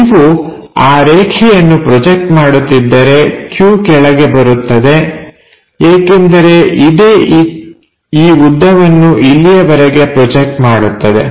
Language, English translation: Kannada, So, if we are projecting that line q all the way down, because this is the one which makes a projection of this length up to this